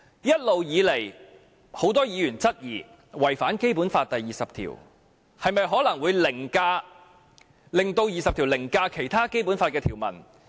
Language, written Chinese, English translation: Cantonese, 一直以來，很多議員質疑這做法違反《基本法》，這樣會否令《基本法》第二十條凌駕其他條文？, Many Members have all along queried whether this approach has contravened the Basic Law . Will it cause Article 20 of the Basic Law to override the other provisions?